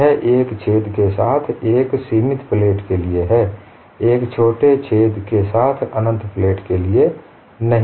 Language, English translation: Hindi, Do not confuse this this is for a finite plate with the hole, not for an infinite plate with the small hole